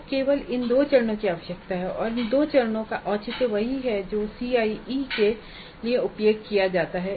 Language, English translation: Hindi, So these two steps only are required and the rational for these two steps is the same as the one used for CIE